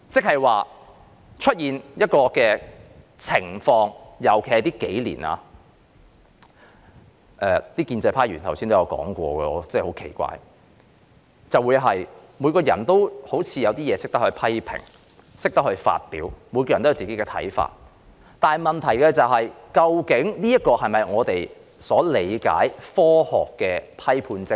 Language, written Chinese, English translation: Cantonese, 近年出現一種情況，我感到很奇怪——建制派議員剛才也有提述——似乎人人都懂得批評及表達自己的看法，但這究竟是否我們所理解科學的批判精神？, In recent years it is very weird to me―pro - establishment Members have also mentioned that just now―that everyone seems to know how to make criticisms and express views . But is this the scientific critical thinking that we understand?